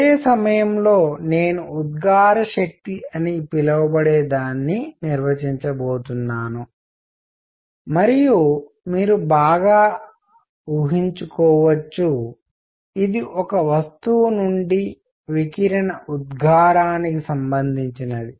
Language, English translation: Telugu, Simultaneously, I am going to define something called the emissive power and as you can well imagine, this is related to the emission of radiation from a body